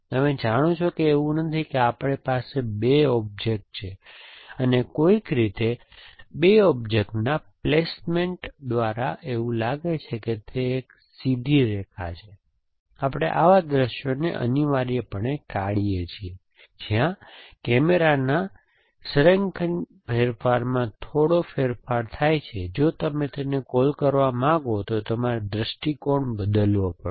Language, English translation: Gujarati, You know it is not as if we have 2 objects and somehow by placement of 2 object it is looks like it is a straight line, we avoid such views essentially where the little bit of align change of camera, if you want to call it will change the view